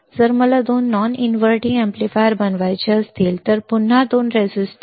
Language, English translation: Marathi, If I want to make two non inverting amplifier again two resistors and that is it